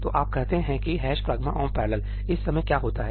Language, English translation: Hindi, So, you say ëhash pragma omp parallelí; what happens at this point in time